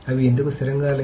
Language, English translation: Telugu, Why are they not consistent